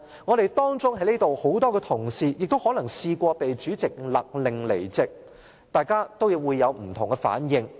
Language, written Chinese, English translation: Cantonese, 在席的同事當中可能也有人試過被主席勒令離開會議廳，大家也會有不同的反應。, When some of the Members present were ordered by the President to leave the Chamber they might have different reactions